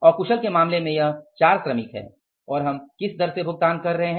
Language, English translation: Hindi, In case of the unskilled what is this 4 workers and we are paying at the rate of how much